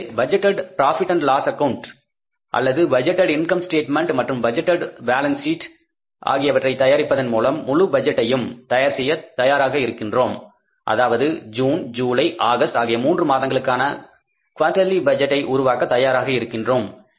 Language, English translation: Tamil, So, by preparing the budgeted profit and loss account or budgeted income statement and the budgeted balance sheet we will be ready with the complete budget, master budget for this quarter of three months that is for the month of June, July and August